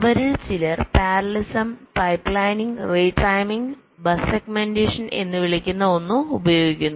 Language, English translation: Malayalam, some of them use parallelism, pipe lining, retiming and something called bus segmentation